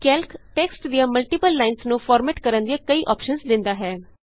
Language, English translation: Punjabi, Calc provides various options for formatting multiple lines of text